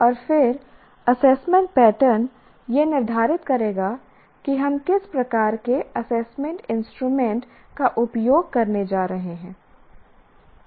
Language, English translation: Hindi, And then assessment pattern will determine what kind of assessment instruments that we are going to use